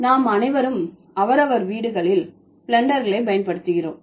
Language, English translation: Tamil, So, all of us we use blenders at our respective houses